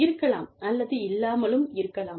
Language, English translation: Tamil, May or, may not be, so